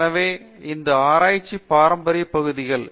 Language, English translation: Tamil, So, these are the traditional areas of research